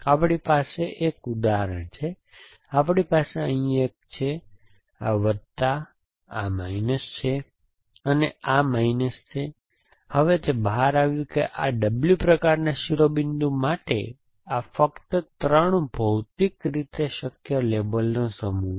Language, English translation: Gujarati, We have an example, we have one here this is plus this is minus and this is minus, now it turns out that for this W kind of vertex, these are the only 3 physically possible set of labels